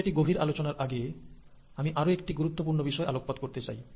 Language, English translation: Bengali, Before I go again further, I want to again highlight another important point